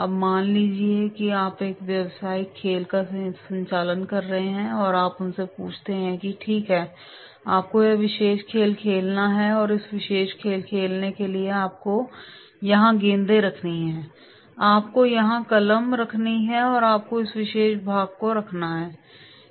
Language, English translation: Hindi, Now suppose you are conducting a business game and you ask them okay, you have to play this particular game and for this playing particular game you have to keep the balls here, you have to keep the pen here, you have to keep this particular part of the game here and then in that case voluntarily they are coming forward